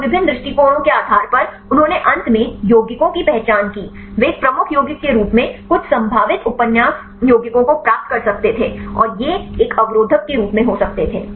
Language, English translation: Hindi, And based on different approaches, they identified the compounds finally, they could get some of the potential novel compounds as a lead compounds and these could be as a inhibitors